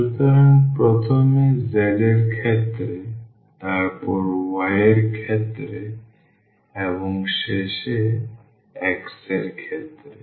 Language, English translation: Bengali, So, first with respect to z, then with respect to y and at the end with respect to x